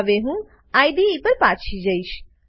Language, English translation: Gujarati, Now, let us come back to the IDE